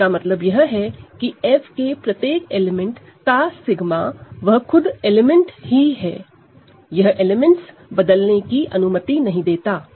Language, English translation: Hindi, So, it simply means that sigma of every element of F is itself; it is not allowed to change elements of F